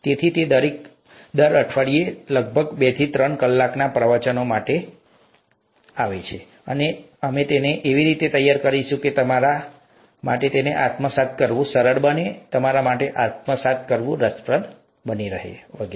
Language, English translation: Gujarati, So that comes to about two to three hours of lectures each week, and we will work it out such that it is easy for you to assimilate, it’ll be interesting for you to assimilate and so on